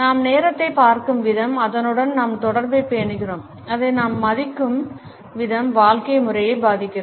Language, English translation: Tamil, The way we look at time, we maintain our association with it and the way we value it, affects the lifestyle